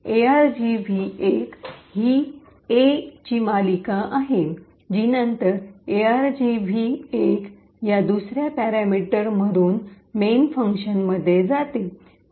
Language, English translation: Marathi, So, argv 1 is the series of A’s which is then passed into the main function through this second parameter argv 1